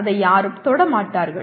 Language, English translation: Tamil, Nobody will ever touch that